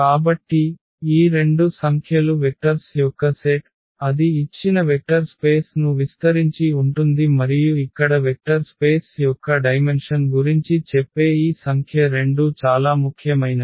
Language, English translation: Telugu, So, these two numbers are the basis that is the set of the vectors and that is that is span the given vector space and this number here which is which tells about the dimension of the vector space both are very important